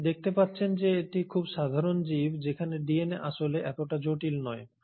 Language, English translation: Bengali, So you find that though it is a very simple organism the DNA is not really as complex